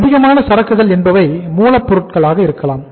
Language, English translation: Tamil, High inventory maybe it is a inventory of raw material